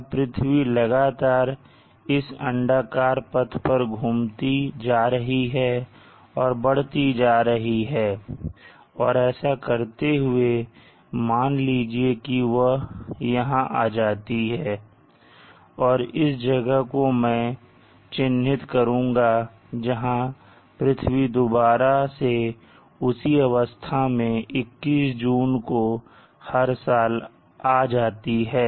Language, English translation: Hindi, Now the earth is continuously spindling and moving along on this path on the elliptical path and let us say it comes to this position, and at this position I will mark it by again another picture the earth spindling with the same tilted axes and this occurs on June 21st every year